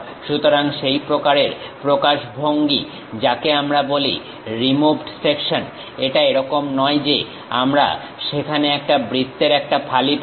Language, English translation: Bengali, So, such kind of representation what we call removed sections; it is not that we have a slice of circle there